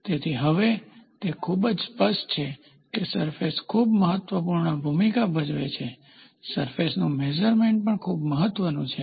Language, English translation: Gujarati, So, now, it is very clear that surface plays a very important role, the surface measuring is also very important